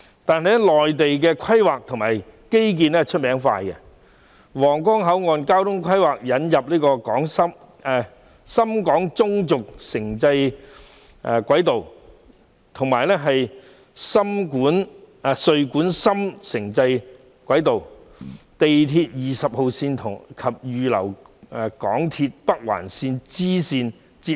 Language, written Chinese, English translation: Cantonese, 可是，內地的規劃及基建以快見稱，皇崗口岸交通規劃引入了深廣中軸城際軌道、穗莞深城際軌道及深圳地鐵20號線，並預留空間，以與港鐵北環綫連接。, However Mainland is known for its speediness in carrying out planning and building infrastructure the Guangzhou - Shenzhen Intercity Railway the Guangzhou - Dongguan - Shenzhen Intercity Railway and Shenzhen Metro Line 20 are included under the transport planning for the Huanggang Port with space reserved for connection with the MTR Northern Link